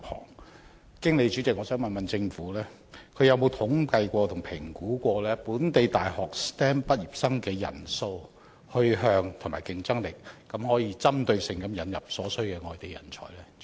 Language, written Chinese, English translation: Cantonese, 我想透過主席詢問政府，曾否進行統計和評估，本地大學 STEM 畢業生的人數、去向和競爭力，然後針對性引入所需的內地人才呢？, President can I ask the Government whether it has ever conducted any survey and assessment on the number career plans and competitiveness of STEM graduates in Hong Kong? . And if yes has it used the findings for determining the specific kinds of talents requiring import from the Mainland?